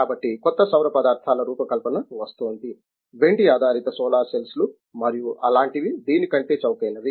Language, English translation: Telugu, So, the design of new solar materials is coming, silver based solar cells and such things are cheaper than this